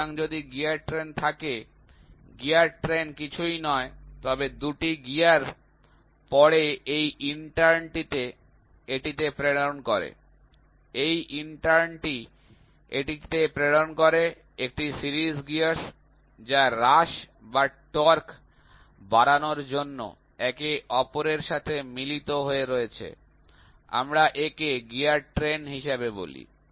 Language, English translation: Bengali, So, if there is the gear train; gear train is nothing, but the 2 gears then this intern transmits to this, this intern transmits to this, a series of gears, which are in mess with each other either for reduction or increase in torque we call it as gear train